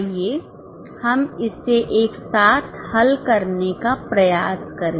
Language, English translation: Hindi, Let us try to solve it together